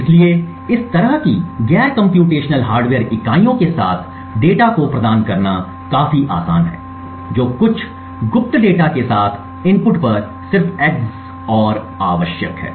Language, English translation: Hindi, So, providing data obfuscation with such non computational hardware units is quite easy all that is required is just an EX OR at the input with some secret data